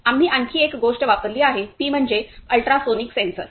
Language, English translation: Marathi, Now one more thing we have used; we have used ultrasonic sensor